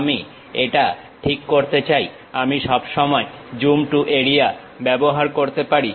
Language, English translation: Bengali, I would like to adjust this; I can always use this Zoom to Area